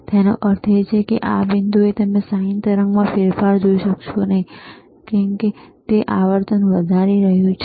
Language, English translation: Gujarati, Tthat means, you at this point, you will not be able to see the change in the sine wave, that it is increasing the frequency